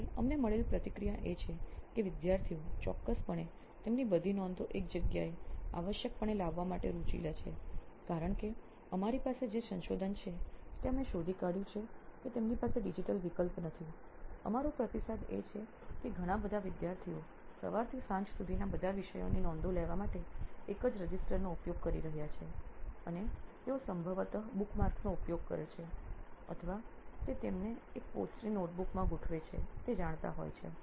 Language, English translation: Gujarati, So the feedback that we received is that students are certainly interested to bring all their notes into one location essentially, because they do not have a digital alternative our feedback from our research what we have identified is that lot of students are using a single register to capture notes from all the subjects that they are learning from say morning till evening and they probably use bookmarks or posts it to you know organize their notes within that single notebook